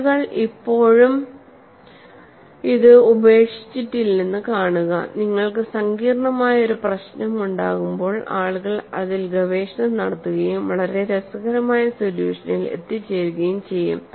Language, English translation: Malayalam, See, people have not given up, when you have a complex problem, people were at it and arrived at very interesting solution